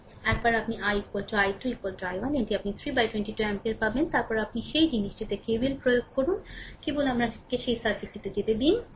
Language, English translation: Bengali, So, once you get i is equal to i 2 is equal to i 1 is equal to this is your 1 by 22 ampere, after that you apply KVL in that thing right, just let me go to that circuit